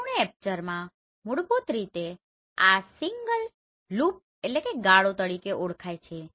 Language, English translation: Gujarati, In full aperture basically this is known as single loop